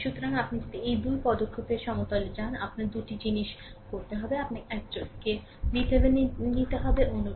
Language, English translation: Bengali, So, if you go to this right equivalent of 2 step, you have to 2 things; you have to obtain one is V Thevenin, another is R thevenin